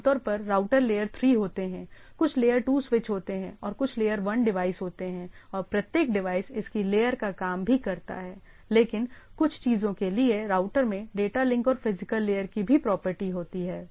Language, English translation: Hindi, Typically routers are layer 3, these are layer 2 switches, there are layer 1 devices and also each device works its layer, but all the things where router has the property of data link and also physical